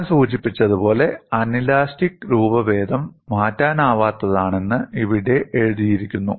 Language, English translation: Malayalam, And as I mention, it is written here that the anelastic deformation is irreversible